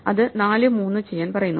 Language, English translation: Malayalam, So, we are done with 4